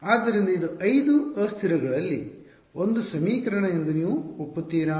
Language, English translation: Kannada, So, will you agree that this is one equation in 5 variables